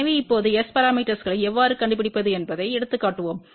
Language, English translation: Tamil, So, now, let just take an example how to find S parameters